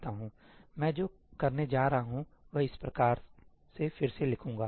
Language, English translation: Hindi, What I am going to do is, I am going to rewrite this as follows